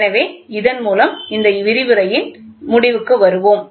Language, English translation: Tamil, So, with this, we will come to an end of this lecture